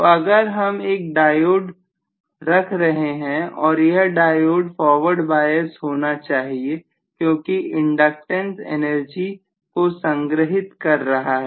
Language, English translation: Hindi, So if I put a diode let us say the diode should get forward bias, right because of the inductance stored energy